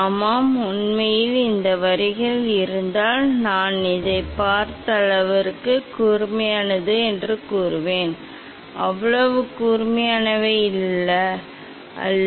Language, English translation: Tamil, Yeah, actually if these lines, these are very sharp if I see through this, but through camera is not that sharp